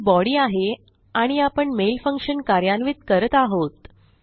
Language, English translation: Marathi, And our body in here and we are executing our mail function